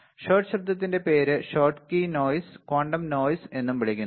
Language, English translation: Malayalam, So, shot noise is also called Schottky noise or shot form of noise is also called quantum noise